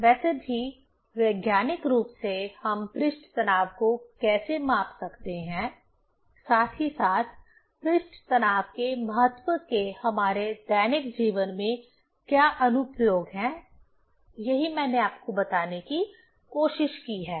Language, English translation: Hindi, Anyway, scientifically how we can measure the surface tension as well as what are the application of the importance of the surface tension in our daily life; that is what I tried to tell you